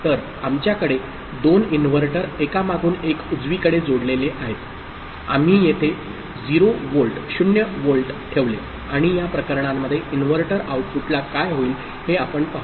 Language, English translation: Marathi, So, let us see if we have 2 inverters connected one after another right, and we place a 0 volt here what will happen to it to the inverter outputs in these cases